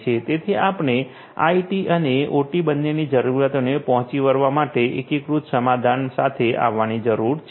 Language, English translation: Gujarati, So, we need to come up with an integrated solution for catering to the requirements of both IT and OT